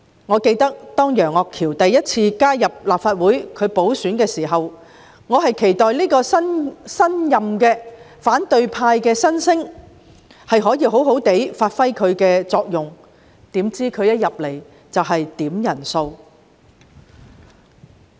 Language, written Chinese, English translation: Cantonese, 我猶記得，當楊岳橋經補選首次加入立法會時，我期待這位新任反對派新星可以好好發揮其作用，豈料他一進入議會便要求點算人數。, I still remember that when Alvin YEUNG joined the Legislative Council for the very first time after winning a by - election I expected this rising star from the opposition camp to play to his strengths . I had never expected that he would request a headcount once he set foot in the Chamber